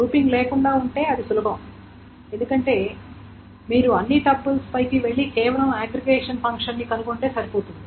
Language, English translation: Telugu, So if it is without grouping then it is easier because then you just need to go over all the tuples and just find the integration function